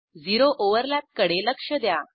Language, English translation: Marathi, Observe zero overlap